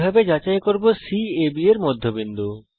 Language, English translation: Bengali, How to verify C is the midpoint of AB